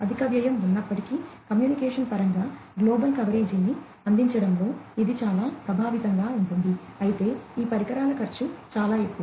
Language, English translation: Telugu, So, there is higher cost although, you know, it is much more effective in providing global coverage in terms of communication, but the cost of these devices is much higher